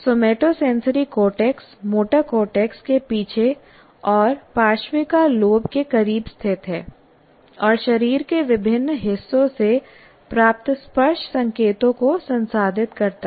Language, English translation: Hindi, And somatosensory is located behind motor cortex and close to the parietal lobe and process touch signals received from various parts of the body